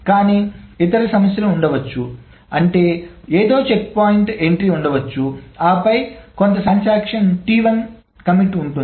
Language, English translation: Telugu, But there may be other problems in the sense that something, there may be a checkpoint entry and then after some point in time there is a commit to some transaction say T